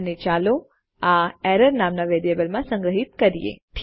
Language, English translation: Gujarati, And lets say well store this in a variable called error